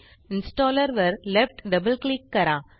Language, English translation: Marathi, Left Double click the installer